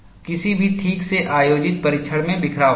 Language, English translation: Hindi, Any properly conducted test would have scatter